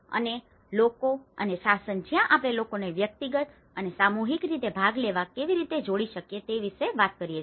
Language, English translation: Gujarati, And the people and governance, where we talk about how we can engage the people to participate individually and as well as collectively